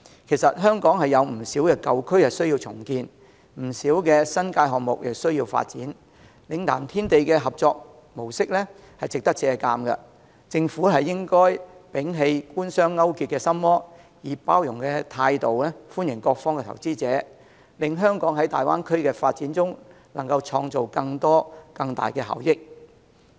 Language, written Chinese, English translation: Cantonese, 其實，香港有不少舊區需要重建，以及不少新界項目需要發展，嶺南天地的合作模式值得借鑒，政府應摒棄官商勾結的心魔，以包容的態度歡迎各方投資者，令香港在大灣區的發展中創造更多及更大效益。, Actually many old districts in Hong Kong need redevelopment and many projects in the New Territories need to be taken forward as well . It is worthwhile to learn from the collaboration model of Lingnan Tiandi . The Government should rid itself of the devil of Government - business collusion in its heart and welcome investors from around the world with an accommodating mindset so that Hong Kong can reap better and bigger returns in the Greater Bay area development